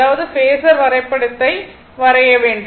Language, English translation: Tamil, So, draw the phasor diagram